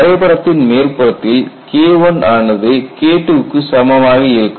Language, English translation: Tamil, At the top of the graph you have this as K1 equal to K2